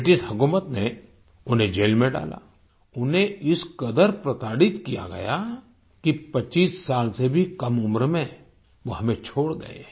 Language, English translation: Hindi, The British government put him in jail; he was tortured to such an extent that he left us at the age of less than 25years